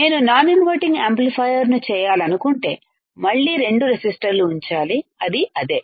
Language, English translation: Telugu, If I want to make two non inverting amplifier again two resistors and that is it